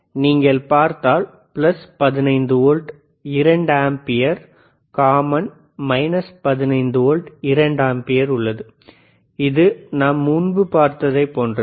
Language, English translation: Tamil, iIf you see, there is plus 15 volts, 2 ampere, common, minus 15 volts, 2 ampere, which is similar to what we haved seen earlier